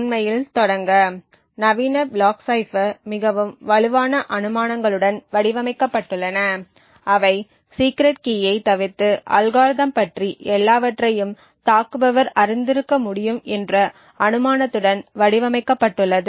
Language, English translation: Tamil, To actually start off with, the modern block ciphers are designed with very strong assumptions so they are infact designed with the assumption that an attacker could know everything about the algorithm except the secret key